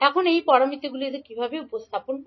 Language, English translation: Bengali, Now these parameters, what they represent